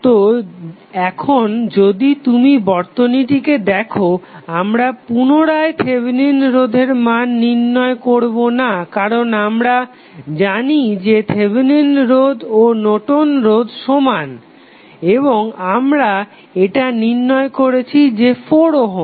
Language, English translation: Bengali, So, now if you see the figure again we are not going to find out the value of Thevenin resistance because we know that Thevenin resistance is equal to Norton's resistance and which we obtained as 4 ohm